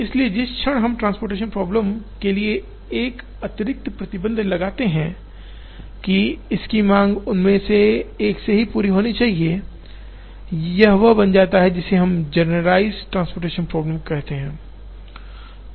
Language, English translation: Hindi, So, the moment we put an additional restriction to the transportation problem that, the demand of this should be met only from one of them, it becomes what is called a generalized assignment problem